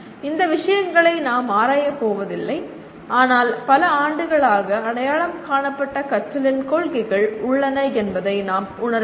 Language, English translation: Tamil, We are not going to explore these things but all that we need to realize is there are several principles of learning that have been identified over the years